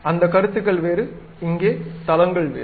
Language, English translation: Tamil, Those views are different; here planes are different